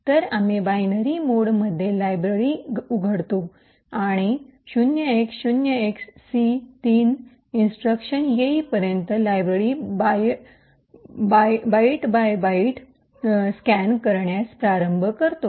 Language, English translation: Marathi, So, we open the library in binary mode and start to scan the library byte by byte until we get c3 instructions